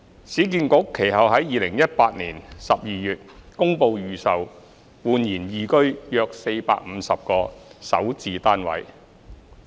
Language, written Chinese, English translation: Cantonese, 市建局其後在2018年12月公布預售煥然懿居的450個首置單位。, Subsequently URA announced the pre - sale of 450 SH units at eResidence in December 2018